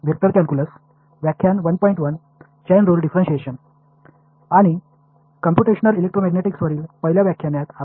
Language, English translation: Tamil, And welcome to the first lecture on Computational Electromagnetics which is the review of Vector Calculus